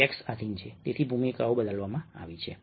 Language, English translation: Gujarati, the text is subservient, so the roles have been substituted